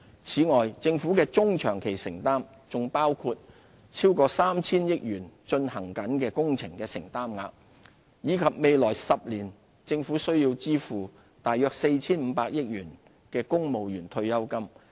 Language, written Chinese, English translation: Cantonese, 此外，政府的中、長期承擔，還包括超過 3,000 億元進行中工程的承擔額，以及未來10年政府須支付約 4,500 億元的公務員退休金。, In addition our medium - and long - term commitments include a sum of over 300 billion for ongoing works projects and about 450 billion for civil service pension obligations in the next 10 years